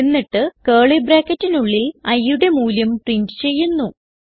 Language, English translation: Malayalam, Then, in curly bracket we print the value of i Now, let us see the output